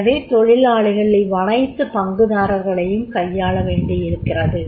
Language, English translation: Tamil, That is employee has to manage all the stakeholders